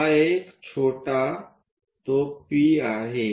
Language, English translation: Marathi, So, this one small one is P